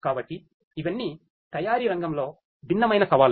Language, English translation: Telugu, So, all of these are different challenges in the manufacturing sector